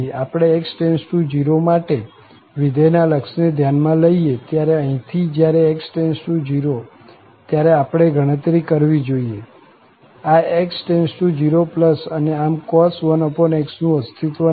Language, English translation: Gujarati, When we consider the limit of this function as x approaches to 0, so, from here, we have to compute when x approaches to 0, this x will go to 0 plus and thus cos 1 over x does not exist